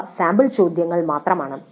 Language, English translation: Malayalam, This is just an example